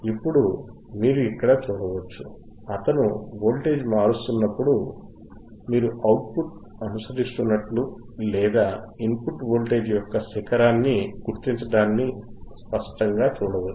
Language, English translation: Telugu, Now, you can see here, when he is changing the voltage you can clearly see that the output is following the peak of the input voltagor de output is following the peak or detecting the peak of the input voltage